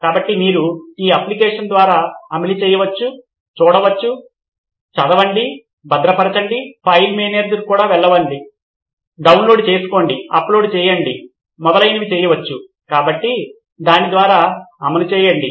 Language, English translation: Telugu, So you can just run through this application, see, read, save, move to file manager, download, upload etc, so just run through it